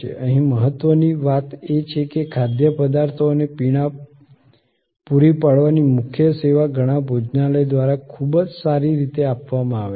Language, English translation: Gujarati, Important thing here is that, the core of providing food and beverage can be very well done by many restaurants